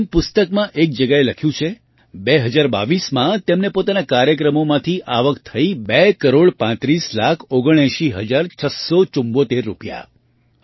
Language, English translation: Gujarati, As it is written at one place in the book, in 2022, he earned two crore thirty five lakh eighty nine thousand six hundred seventy four rupees from his programs